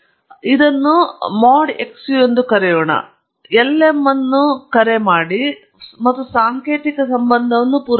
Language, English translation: Kannada, Let’s call this as mod xu, and call the lm, and supply the symbolic relationship